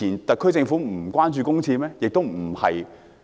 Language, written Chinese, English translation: Cantonese, 特區政府以往不關注公廁問題嗎？, Was the SAR Government not concerned about the public toilet problem in the past?